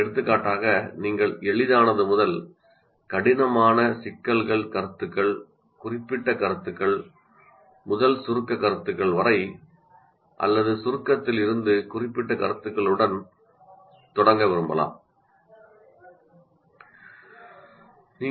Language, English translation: Tamil, For example, you may want to start with easy to difficult problems or easy to difficult concepts, concrete to abstract concepts or abstract to concrete concept